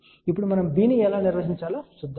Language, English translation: Telugu, Now, let us see how we define B